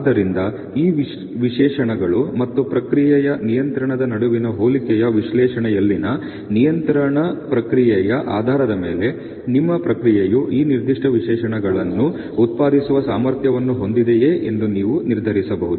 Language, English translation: Kannada, So, you can have based on a control process in analysis of comparison between this specifications and the process control, so that you can determine whether your process is capable of producing these specification